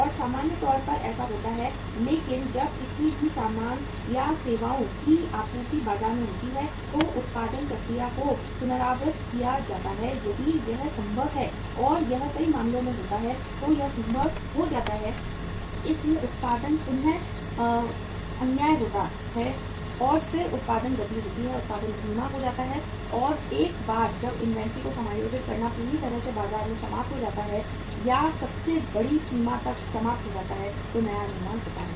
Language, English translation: Hindi, And normally that happens also but that when any supply of any goods or services goes up in the market the production process is readjusted if it is possible and it happens in many cases it becomes possible so the production is readjusted and then the production is the pace of the production is slowed down and once that adjusting inventory is fully exhausted in the market or exhausted to the largest extent then the new production takes place